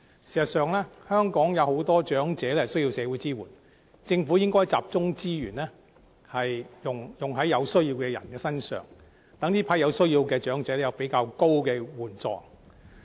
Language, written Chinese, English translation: Cantonese, 事實上，香港有很多長者需要社會支援，政府應集中資源幫助有需要的長者身上，讓他們獲得較高金額的援助。, Actually many elderly people in Hong Kong need social assistance . The Government should concentrate its resources on helping the needy elderly people to provide them with financial assistance of a larger amount